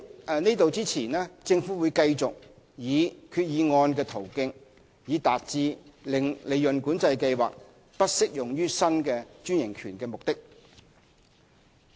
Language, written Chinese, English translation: Cantonese, 在此之前，政府會繼續以決議案的途徑，以達致令利潤管制計劃不適用於新專營權的目的。, In the meantime the Government will continue the practice of moving a resolution to achieve the purpose of disapplication of PCS to a new franchise